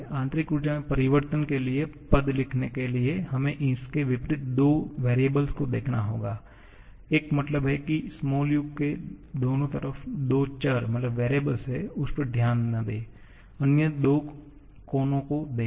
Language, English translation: Hindi, To write the expression for the change in internal energy, we have to see the two corners opposite to that, means I mean there are two variables on either side of the u, do not look at that, look at that other two corners